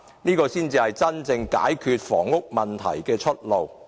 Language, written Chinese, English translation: Cantonese, 這才是真正解決房屋問題的出路。, This is the solution to truly address the housing problem